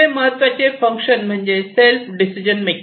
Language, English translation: Marathi, So, the next important function is the self decision making